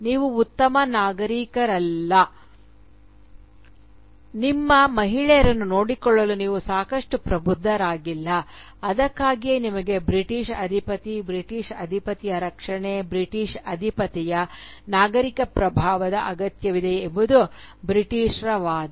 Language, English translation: Kannada, You are not civilised enough, you are not mature enough, to take care of your woman which is why you need the British overlord, the protection of the British overlord, the civilising influence of the British overlord